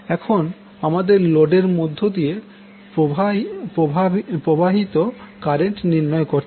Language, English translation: Bengali, Now, next is you need to find out the current which is flowing through the load